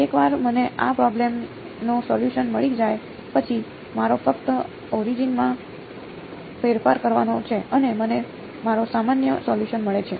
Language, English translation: Gujarati, Once I get the solution to this problem, all I have to do is do a change shift of origin and I get my general solution ok